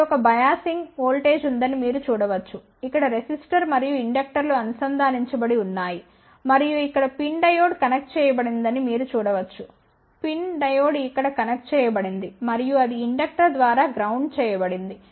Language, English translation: Telugu, You can see here there is a biasing voltage here, the resistor and inductors are connected over here and you can see that there is a pin diode connected over here, pin diode connected over here and that is grounded through a inductor